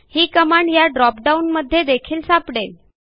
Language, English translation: Marathi, I can also look up this command from the drop down box here